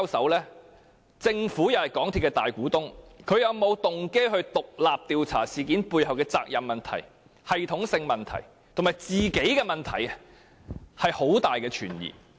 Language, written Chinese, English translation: Cantonese, 鑒於政府是港鐵公司的大股東，政府是否有動機獨立調查事件背後的責任問題、系統性問題及它自己的問題，令人存有很大疑問。, Given that the Government is the majority shareholder of MTRCL it is very doubtful whether the Government has a motive for independently inquiring into the accountability issue systemic problems and its own problems behind the incident